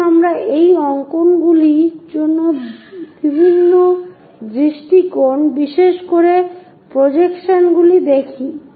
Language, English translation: Bengali, Let us look at different perspectives of this drawings, especially the projections